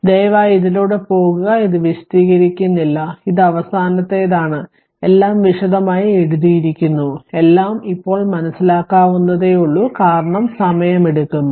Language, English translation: Malayalam, And please go through it I am not explaining this this is a last one all are written in detail all are written in detail and, everything is understandable to you now right, because time time it is taking long time